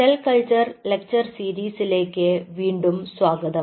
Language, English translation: Malayalam, welcome back to the lecture series in cell culture